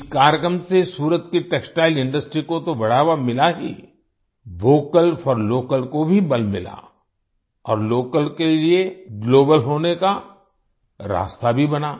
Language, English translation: Hindi, This program not only gave a boost to Surat's Textile Industry, 'Vocal for Local' also got a fillip and also paved the way for Local to become Global